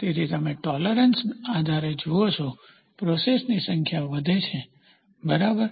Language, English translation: Gujarati, So, you see depending upon the tolerance, the number of process increases, right